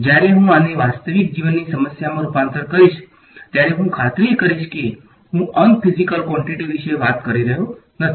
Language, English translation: Gujarati, When I convert this to a real life problem, I will make sure that I am not talking about unphysical quantities